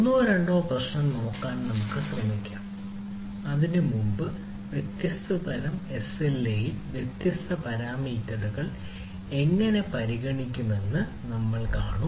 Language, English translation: Malayalam, we will try to look at one or two problem before that ah, we will see that how different parameters are considered in different type of slas right in different type of commercial life